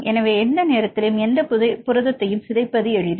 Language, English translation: Tamil, So, it is easier to degrade any protein at any point of time